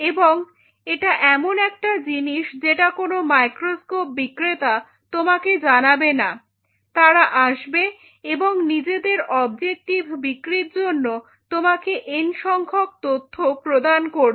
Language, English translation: Bengali, That is something which no seller of microscope will tell you they will come and they will tell you n number of info which is to cell their objective